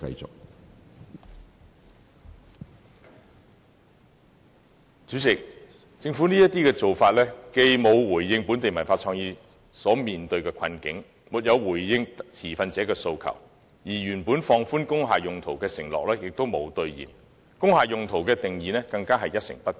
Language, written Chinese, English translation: Cantonese, 主席，政府未有回應本地文化創意產業所面對的困境及持份者的訴求，亦未有兌現放寬工廈用途的承諾，對工廈用途的定義亦一成不變。, President the Government has not addressed the plight of the local cultural and creative industries and the demands of stakeholders nor has it honoured its pledge of relaxing the restrictions on the uses of industrial buildings . It has also refused to change the definition of the uses of industrial buildings